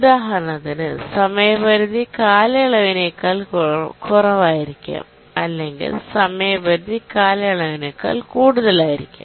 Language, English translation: Malayalam, For example, deadline may be less than the period or deadline may be more than the period